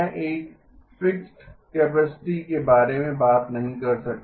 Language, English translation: Hindi, Okay, I cannot talk about a fixed capacity